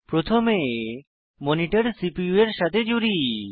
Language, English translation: Bengali, First, lets connect the monitor to the CPU